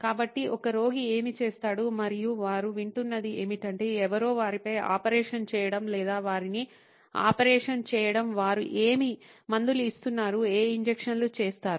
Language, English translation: Telugu, So, this is what a patient does and what they hear is that somebody operating on them or doing their operation, they are performing whatever the medication, what injections all that is being performed